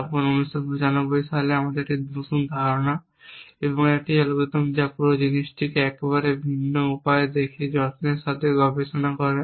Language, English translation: Bengali, Then in 1995 of pare of researches care of with a new idea and with an algorithms which look at this whole thing in very different way